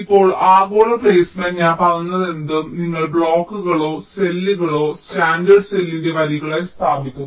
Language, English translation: Malayalam, now, global placement, whatever i have ah said that you place the blocks or the cells in rows of the standard cell